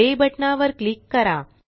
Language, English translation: Marathi, Click the Play button